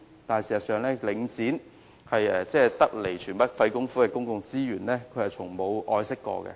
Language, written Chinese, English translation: Cantonese, 可是，事實上，領展對於得來全不費工夫的公共資源，從沒有好好愛惜。, Yet in reality Link REIT has failed to take proper care of the properties it took over effortlessly